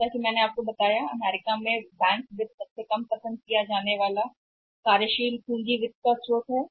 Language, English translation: Hindi, As I told you that in US bank finance is the least preferred source of working capital financing